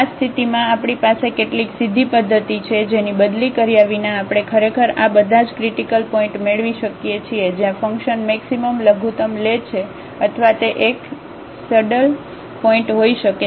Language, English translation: Gujarati, In this case we have some direct method which without substituting we can actually get all these critical points where, the function may take maximum minimum or it may be a saddle point